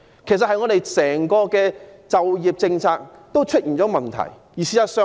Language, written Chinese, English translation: Cantonese, 事實上，我們整個就業政策也出現問題。, In fact the employment policy as a whole is fraught with problems